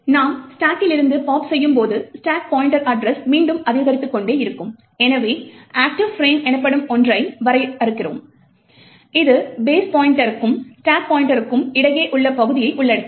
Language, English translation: Tamil, While as we pop from the stack, the stack pointer address keeps incrementing again, so we further define something known as an active frame which comprises of the region between the base pointer to the stack pointer